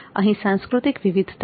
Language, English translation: Gujarati, There is cultural diversity